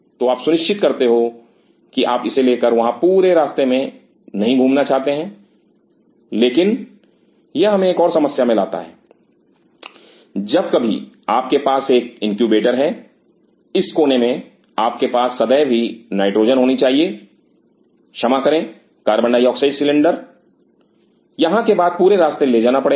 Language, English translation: Hindi, So, you ensure you do not want to travel all the way out here, but that brings us to another problem whenever you have an incubator in this corner you always have to have the nitrogen, sorry the carbonate oxide cylinder to be taken all the way after here